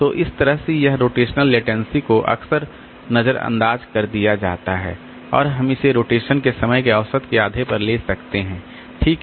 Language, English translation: Hindi, So, that way this rotational latency is often ignored and we can take it on an average half of the rotation time